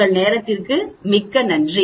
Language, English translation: Tamil, Thank you very much for your time